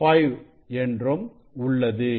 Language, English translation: Tamil, 5 it is at 1